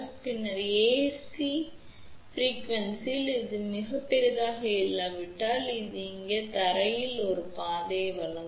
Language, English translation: Tamil, Then, at AC frequency, if this is not very large this will provide a path to the ground here